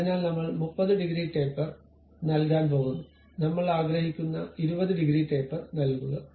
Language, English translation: Malayalam, So, I am going to give some 30 degrees taper, maybe some 20 degrees taper I would like to give